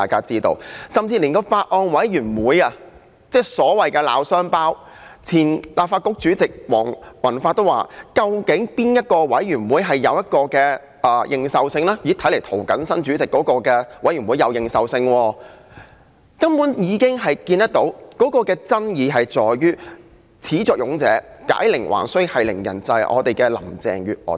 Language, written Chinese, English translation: Cantonese, 即使是法案委員會，雖然出現所謂的鬧雙胞，但前立法局主席黃宏發也認為較有認受性的是涂謹申議員任主席的法案委員會，由此可見爭議在於始作俑者、解鈴還需繫鈴人的特首林鄭月娥。, We now ended up having two so - called Bills Committees on the Bill but our former Legislative Council President Mr Andrew WONG says that the one chaired by Mr James TO has greater legitimacy . It is thus evident that the controversy is over Carrie LAM who is the originator of the evil bill and should be the one to settle this matter